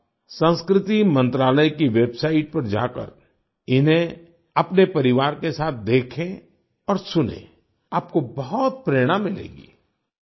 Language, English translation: Hindi, While visiting the website of the Ministry of Culture, do watch and listen to them with your family you will be greatly inspired